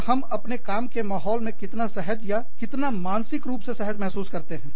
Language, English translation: Hindi, And, or, how comfortable, how mentally comfortable, we feel in our work environment